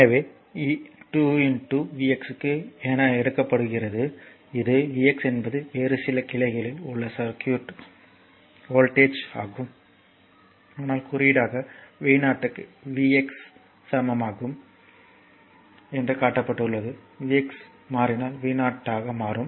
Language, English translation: Tamil, So, it is some 2 into v x is taken for, this is v x actually is the voltage in the circuit across some other branch right, but just symbolically it is shown that v 0 is equal 2 v x, a v x changes then v 0 will change right